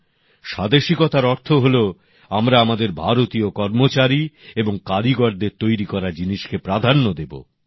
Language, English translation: Bengali, He also used to say that Swadeshi means that we give priority to the things made by our Indian workers and artisans